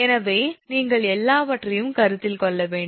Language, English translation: Tamil, So, you have to consider everything